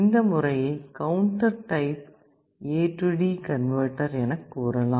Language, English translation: Tamil, This method is called counter type A/D converter